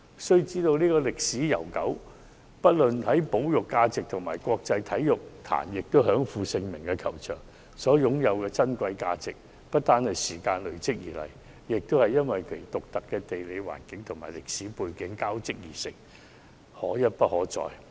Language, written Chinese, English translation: Cantonese, 須知道，這個球場歷史悠久，深具保育價值，在國際體壇又享負盛名，其擁有的珍貴價值不單是由時間累積而來，也是因為其獨特的地理環境和歷史背景交織而成，可一不可再。, Why giving it up easily? . It should be noted that FGC which is steeped in history high in conservation value and world - renowned in the sporting scene owes its cherished values not merely to the sedimentation of time but also to the interlacing of its unique geographical setting and historical background which cannot be repeated